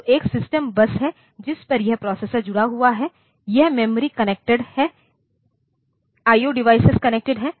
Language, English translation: Hindi, So, there is a system bus on which this processor is connected this memory is connected I/O devices are connected